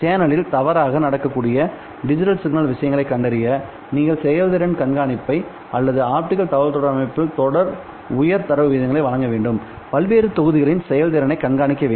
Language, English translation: Tamil, You also perform digital signal processing at the end and then you also need to perform performance monitoring or you need to actively monitor the performance of various blocks in this optical communication system so as to consistently deliver high data rates